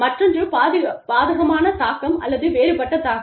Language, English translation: Tamil, The other is, adverse impact, or disparate impact